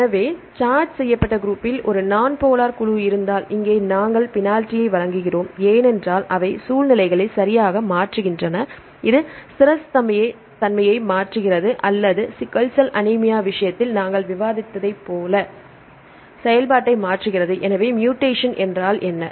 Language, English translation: Tamil, So, if there is a non polar group with the charged group, here we give the penalty because they alter situations right this alter the stability or alter the function like we discussed in the case of sickle cell anemia